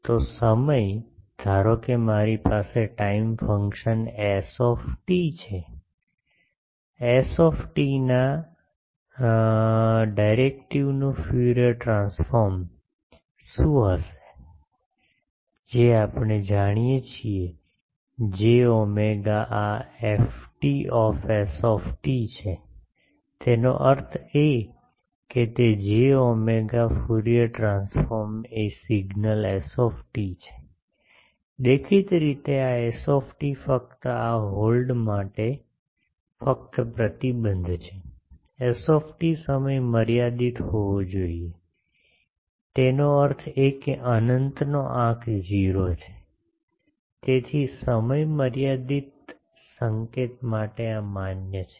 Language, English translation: Gujarati, So, time, suppose I have a time function s t, what is the Fourier transform of the derivative of s t that we know is j omega this F t s t; that means, it is j omega Fourier transform of the signal s t; obviously, this s t only the to this hold, only restriction is s t should be time limited; that means, s of infinity is 0, so for a time limited signal this is valid